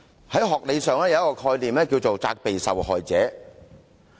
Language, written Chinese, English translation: Cantonese, 學理上有一個概念是"責備受害者"。, Academically there is the concept of blaming the victim